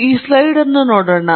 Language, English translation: Kannada, Take a look at this slide